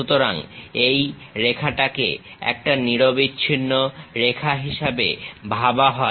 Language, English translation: Bengali, So, this line supposed to be a continuous line